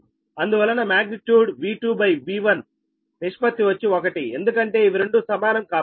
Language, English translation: Telugu, so magnitude v two upon v, one ratio is one, because these two are equal right